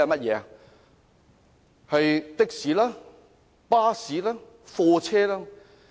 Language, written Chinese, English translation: Cantonese, 是的士、巴士、貨車。, They are taxis buses and goods vehicles